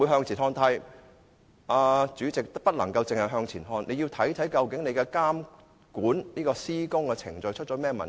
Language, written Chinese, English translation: Cantonese, 主席，港鐵公司不能只向前看，還要看看究竟監管施工的程序出了甚麼問題。, President MTRCL cannot merely be forward - looking it should find out the problems that have arisen in the monitoring process of the works